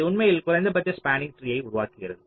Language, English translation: Tamil, it actually constructs a minimum spanning tree